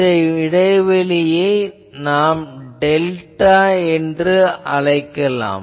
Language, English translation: Tamil, And let us say this gap is something like delta let me call